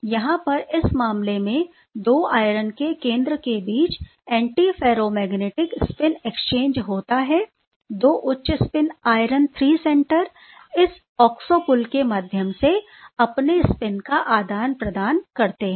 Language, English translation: Hindi, There is antiferromagnetic spin exchange between the 2 iron center the 2 high spin iron 3 center in this case are exchanging their spin through this oxo bridge right